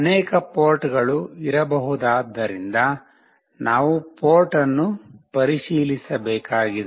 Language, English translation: Kannada, We need to check the port as there can be many ports